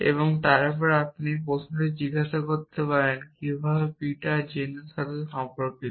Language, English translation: Bengali, And then you could ask a question how is Peter related to Jane